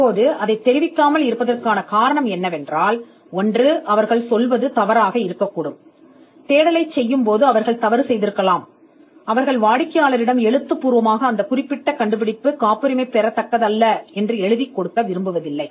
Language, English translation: Tamil, Now, the reason why they do not communicate it is—one they could have been wrong the professionals while doing the search they could have been wrong and they do not want to give the client something in writing to say that this particular invention cannot be patented